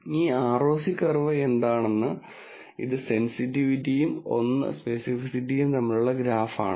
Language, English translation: Malayalam, What this ROC curve is, is, a graph between sensitivity and 1 minus specificity